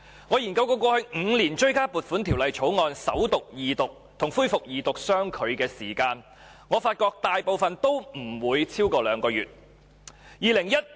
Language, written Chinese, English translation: Cantonese, 我曾研究過去5年追加撥款條例草案首讀、二讀及恢復二讀相距的時間，我發覺大部分都不超過兩個月。, I have looked up the time gaps between the First Reading Second Reading and resumption of the Second Reading debate on the supplementary appropriation Bills for the past five years and found that they were no more than two months apart in most cases